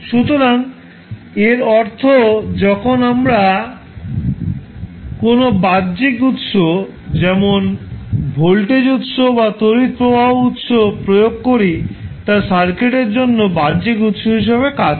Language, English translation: Bengali, So, that means when we apply any external source like voltage source we applied source or maybe the current source which you apply so that acts as a external source for the circuit